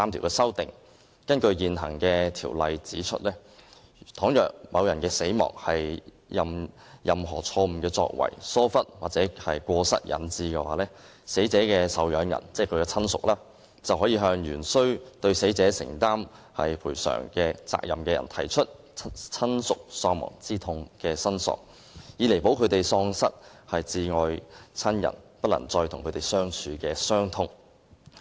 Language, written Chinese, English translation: Cantonese, 根據現行條例，倘若某人死亡是由於錯誤作為、疏忽或過失引致，死者的受養人便可向原須對死者承擔賠償責任的人提出親屬喪亡之痛的申索，以彌補他們喪失摯愛親人不能再與他們相處的傷痛。, The existing provision stipulates that if death is caused to any person by any wrongful act neglect or default a claim for damages for bereavement may be brought by dependants of the deceased against the person who would have been liable in damages to the deceased to compensate for the grief of the loss of their beloved and inability to live with himher anymore